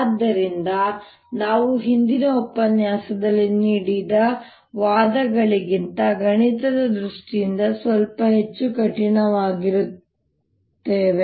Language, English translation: Kannada, so we are going to be mathematical, little more rigorous than the arguments that we gave in the previous lecture